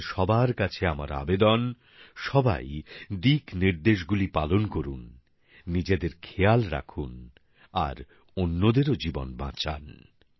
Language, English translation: Bengali, I urge all of you to follow all the guidelines, take care of yourself and also save the lives of others